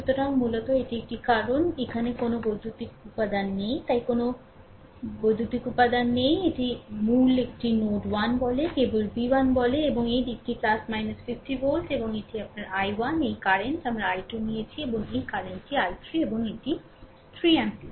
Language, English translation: Bengali, So, basically this one because no electrical element is here no electrical element is so, basically it say node 1, right only v 1 and this side is ah plus minus 50 volt and this is your ah i 1, this current, we have taken i 2 and this current is i 3 and this is 3 ampere